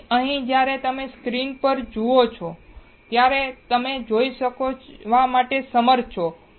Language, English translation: Gujarati, So, here when you see the screen what are you able to see